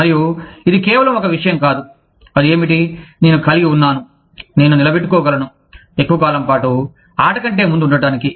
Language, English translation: Telugu, And, it is not just one thing, what is it, that i have, that i can sustain, over a long period of time, so as to stay ahead of the game